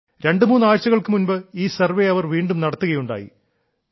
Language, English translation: Malayalam, Just twothree weeks ago, the survey was conducted again